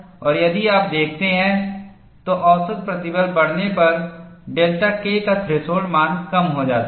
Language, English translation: Hindi, That means, if the mean stress is increased, the delta K threshold comes down